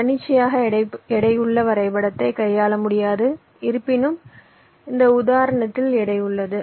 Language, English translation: Tamil, and it cannot handle arbitrarily weighted graph, although the example that we have seen has weight